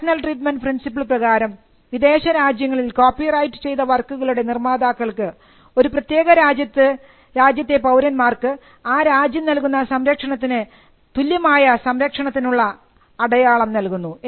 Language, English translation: Malayalam, So, national treatment principle ensured that creators of copyrighted work in foreign countries got symbol of protection as a protection would be offered to a citizen of a particular country